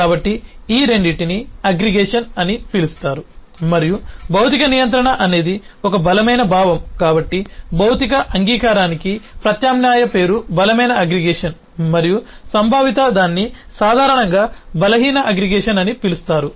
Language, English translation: Telugu, so both of these are known as aggregation and since physical containment is a is a stronger sense, so an alternate name for physical agree containment is strong aggregation and the conceptual one is more commonly referred to as weak aggregation